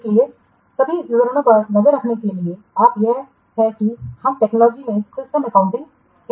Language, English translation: Hindi, So, to keep track of all the details that is with that we call in technologies or system accounting